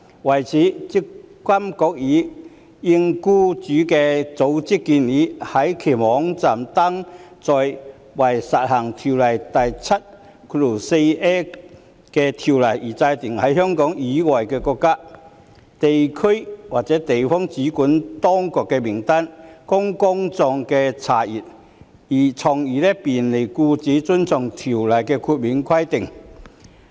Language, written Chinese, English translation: Cantonese, 為此，積金局已應僱主組織的建議，在其網頁登載為施行《條例》第 74a 條而制訂的在香港以外的國家、地區或地方的主管當局名單，供公眾查閱，從而便利僱主遵從《條例》的豁免規定。, To this end at the suggestion of employer associations MPFA has already posted a list of authorities in a country territory or place outside Hong Kong for the purpose of section 74a of ORSO for public reference on MPFAs web page so as to facilitate employers compliance with the ORSO exemption requirements